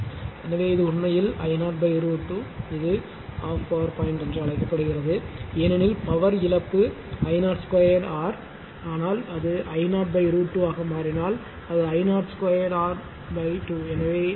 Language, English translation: Tamil, So, this is actually this 1 this 1 this is your I 0 by root 2 this is this is called half power point because I power loss is I 0 square R, but if it become I 0 by root 2 it will be I 0 square R by 2